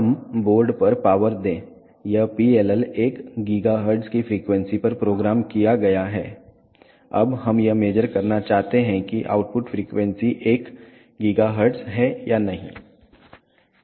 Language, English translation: Hindi, Let us power on the board this PLL has been programmed at a frequency of 1 gigahertz, now we wish to measure whether the output frequency is one gigahertz or not